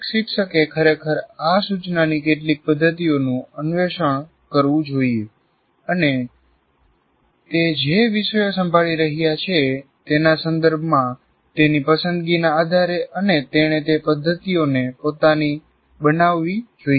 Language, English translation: Gujarati, Now what one should say every teacher should actually explore some of these instruction methods and based on his preference with regard to the subjects is handling, he should make those methods his own